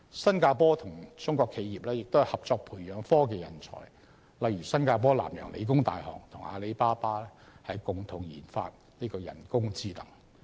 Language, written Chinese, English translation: Cantonese, 新加坡與中國企業合作培養科技人才，例如新加坡南洋理工大學與阿里巴巴共同研發人工智能。, Singapore has joined hands with Chinese enterprises to nurture technology talents such as co - development of artificial intelligence between Nanyang Technological University of Singapore and Alibaba